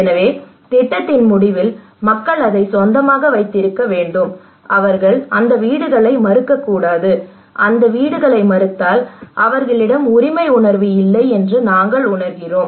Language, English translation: Tamil, So in the end of the project people should own it they should not refuse that houses, if they refuse that houses we feel that there is no ownership